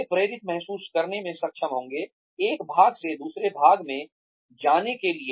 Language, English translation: Hindi, They will be able to feel motivated, to go from one part to another